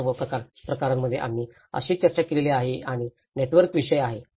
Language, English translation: Marathi, So in all the cases, what we did discussed is about the process and the networks